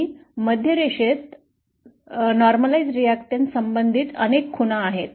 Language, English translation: Marathi, And the Central line has many markings corresponding to the normalised resistances